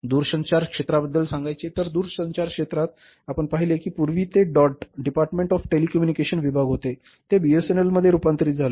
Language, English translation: Marathi, In the telecom sector we have seen that earlier it was dot department of telecommunication